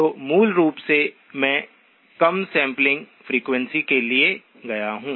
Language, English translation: Hindi, So basically I have gone to a lower sampling frequency